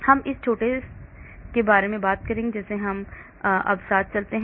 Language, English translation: Hindi, We will talk about this little bit as we go along now